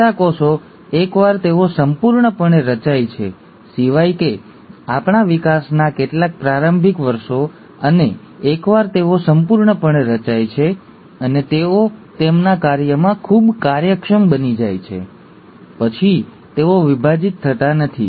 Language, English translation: Gujarati, The neurons, once they have been completely formed, except for the few early years of our development, and once they have been totally formed and they have become highly efficient in their function, they do not divide